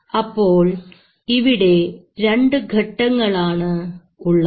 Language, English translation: Malayalam, So there are two processes